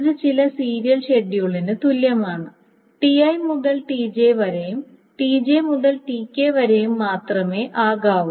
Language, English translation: Malayalam, That means the only edges that can be present is from TI to TJ and TJ to TK